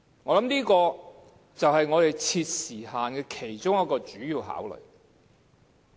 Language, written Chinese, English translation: Cantonese, 我想這就是設定時限的其中一個主要考慮。, I think this is one of the main considerations for the imposition of a time limit